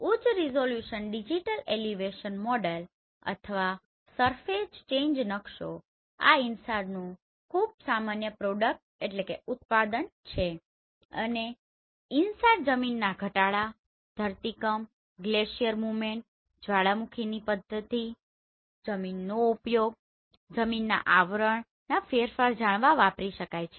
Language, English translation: Gujarati, High resolution digital elevation model or surface change map are very common product from this InSAR and the application of this InSAR is in land subsidence, earthquake, glacier movement, volcanic activity, land use, land cover change